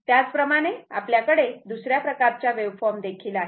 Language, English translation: Marathi, Similarly, you may have other type of wave form